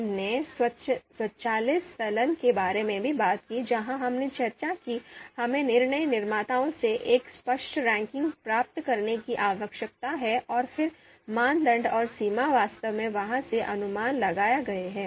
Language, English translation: Hindi, We talked about the automatic elicitation and where we talked about that we need to get a clear ranking from the decision makers and then the criteria weights and threshold are actually inferred from there